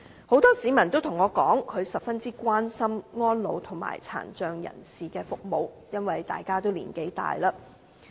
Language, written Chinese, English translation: Cantonese, 很多市民告訴我，他們十分關心安老和殘障人士的服務，因為大家已經年老。, Many members of the public told me that because most of them have grown old they are very concerned about elderly care and the support offered to persons with disabilities